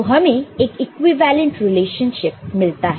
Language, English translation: Hindi, Then, you get an equivalent relationship ok